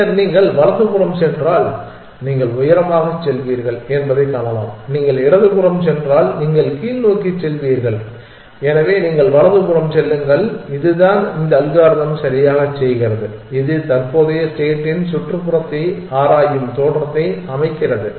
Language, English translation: Tamil, Then, you can see that if you go right you will be going higher if you go left you will be going lower, so you go right, which is exactly what this algorithm is doing that it set of look exploring the neighborhood of the current state